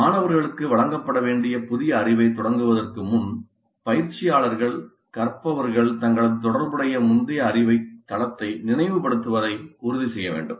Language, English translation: Tamil, So before commencing with new knowledge to be imparted to the students, instructor must ensure that learners recall the relevant previous knowledge base